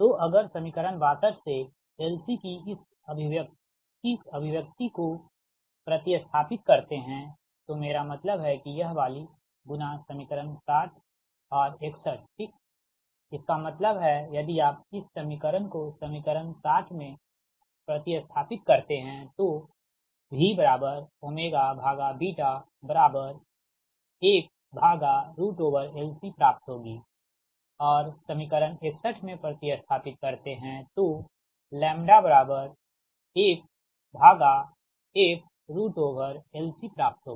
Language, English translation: Hindi, so if substituting this expression of l c from equation sixty two, i mean this one in to equation sixty and sixty one right, that means, if you substitute this equation in equation sixty, that is, v is equal to one upon root over l c and in sixty one by lambda is equal to one upon f root over l c